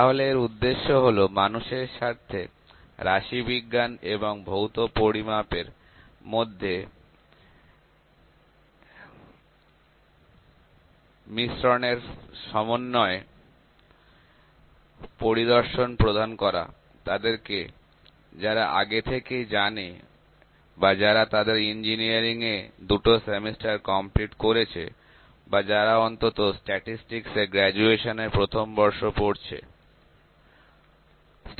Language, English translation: Bengali, So, our purpose in this course is to provide a unified overview of interaction between statistics and physical measurements with the people who have the prerequisite has people who have completed that is two semester of their engineering or with roughly first year graduate level background in statistics, ok